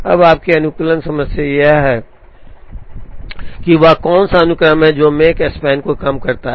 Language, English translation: Hindi, Now, your optimization problem is what is the sequence that minimizes Makespan